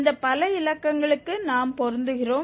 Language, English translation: Tamil, We are matching up to these so many digits